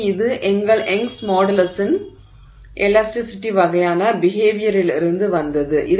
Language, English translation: Tamil, So, this is from our, you know, Young's modulus of elasticity kind of behavior